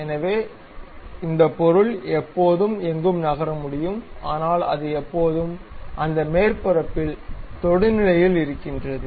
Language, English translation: Tamil, So, this object always be I can really move anywhere, but it always be tangent to that surface